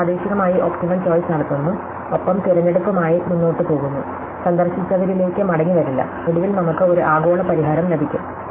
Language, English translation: Malayalam, So, we make a locally optimal choice and we keep going with choice, never going back to re visit it, and finally we get a global solution